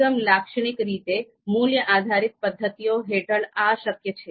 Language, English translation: Gujarati, So typically, this is possible under value based methods